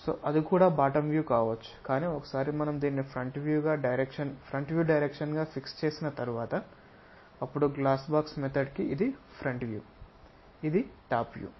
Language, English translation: Telugu, So, that can be bottom view also, but once we fix this one as the front view direction, then this will becomes this is the front view this is the top view for glass box method